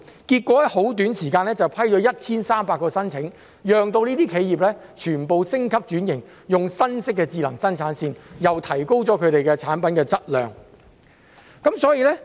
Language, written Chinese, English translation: Cantonese, 結果，當局在很短時間內批出了 1,300 個申請，讓這些企業全部升級轉型，用新式的智能生產線，提高了產品的質量。, As a result 1 300 applications were approved within a very short period of time . As a result all these enterprises were upgraded and transformed with new smart production lines which have improved the quality of their products